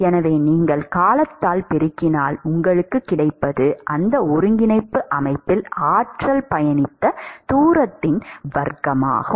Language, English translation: Tamil, So, when you multiply by time, what you get is the square of the distance that the energy has traveled in that coordinate system, right